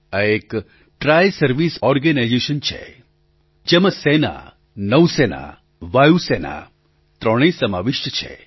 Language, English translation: Gujarati, It is a Triservices organization comprising the Army, the Navy and the Air Force